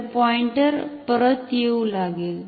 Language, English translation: Marathi, So, the pointer will start to come back